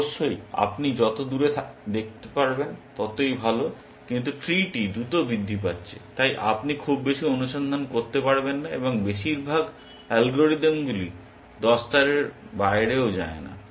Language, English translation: Bengali, Of course, the farther you can see the better, but because the tree is growing exponentially, you cannot do too much search and most algorithms do not go beyond 10 ply also essentially